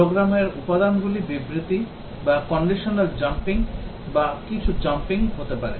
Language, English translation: Bengali, The program elements can be statements, or conditionals or some jumps etcetera